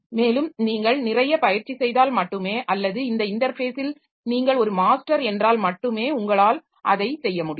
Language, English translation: Tamil, And only if you are practicing a lot or if you are a master in that interface then you will be able to do that